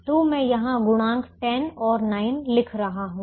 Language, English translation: Hindi, so i am just writing the coefficients ten and nine here